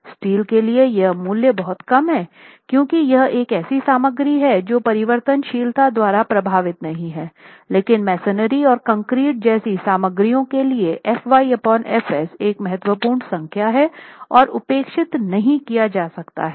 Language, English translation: Hindi, For steel these values are much lesser because it's a material which is not affected so much by variability but for materials like masonry and concrete FY by FS is a significant number and cannot be neglected